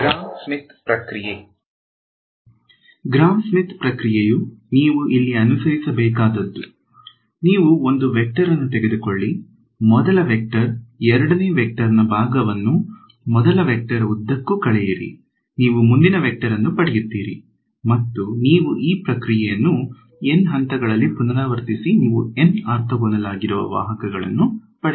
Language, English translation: Kannada, Gram Schmidt process right; so, Gram Schmidt process is what you would follow, you take one vector start keep that the first vector, subtract of the part of the second vector along the first vector you get the next vector and you repeat this process in N steps you get N vectors that are all orthogonal to each other right